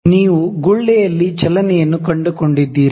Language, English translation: Kannada, Do you find the movement in the bubble